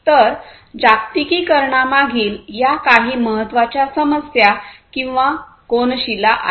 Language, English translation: Marathi, So, these are some of the important issues or the cornerstones behind globalization